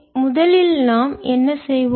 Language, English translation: Tamil, so what we will do again